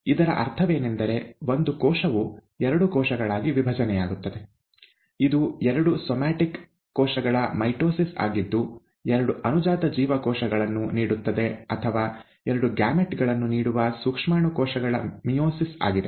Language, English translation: Kannada, What we mean is actually this, a single cell divides to become two cells, it is either mitosis, of all the somatic cells, which yields two daughter cells or the meiosis, of germ cells, which yields two gametes